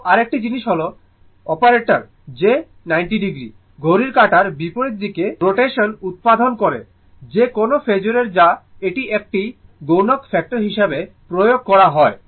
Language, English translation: Bengali, So, another thing is that the operator j produces 90 degree counter clockwise rotation, right of any phasor to which it is applied as a multiplying factor